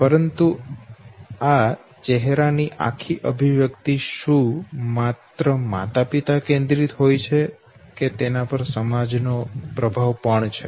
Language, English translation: Gujarati, But is it, that entire facial expression is only what you call, parent centric or is it that there is an influence even of the society, okay